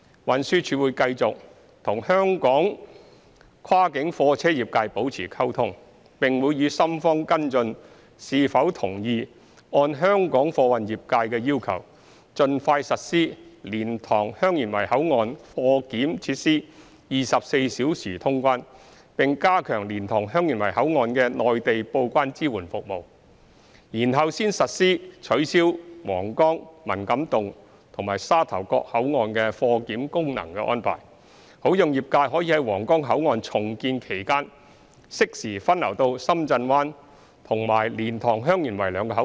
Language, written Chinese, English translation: Cantonese, 運輸署會繼續與香港跨境貨運業界保持溝通，並會與深方跟進是否同意按香港貨運業界的要求盡快實施蓮塘/香園圍口岸貨檢設施24小時通關，並加強蓮塘/香園圍口岸的內地報關支援服務，然後才實施取消皇崗、文錦渡和沙頭角口岸的貨檢功能的安排，好讓業界可在皇崗口岸重建期間適時分流到深圳灣及蓮塘/香園圍兩個口岸。, The Transport Department will continue the communication with Hong Kongs cross - boundary freight transport industry and will follow up with the Shenzhen authorities whether or not they agree to implement the round - the - clock customs clearance for freight transport at LiantangHeung Yuen Wai Control Point as soon as possible as proposed by Hong Kongs freight industry in addition to enhancing Mainlands supporting services for customs declaration at the LiantangHeung Yuen Wai Control Point before abolishing the freight transport function at Huanggang Man Kam To and Sha Tau Kok Control Points so as to allow the industry to arrange a timely diversion of their operations to Shenzhen Bay Port and LiantangHeung Yuen Wai Control Point during the redevelopment process of the Huanggang Port